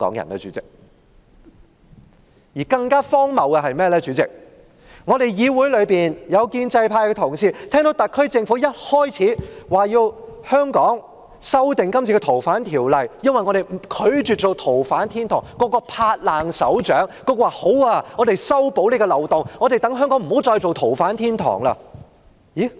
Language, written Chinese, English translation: Cantonese, 代理主席，更荒謬的是，議會內有建制派同事聽到特區政府表示要修訂《條例》，避免香港成為逃犯天堂時，均拍手稱好，說修補漏洞後讓香港不再是逃犯天堂。, More ridiculously Deputy President when the SAR Government indicated that it would amend the Ordinance to prevent Hong Kong from becoming a haven for fugitive offenders certain pro - establishment Members of this Council applauded saying that Hong Kong would not be a haven for fugitive offenders when the loophole was plugged